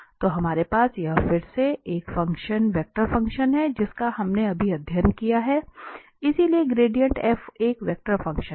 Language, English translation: Hindi, So, we have, this is a vector function again which we have just studied, so the gradient f is a vector function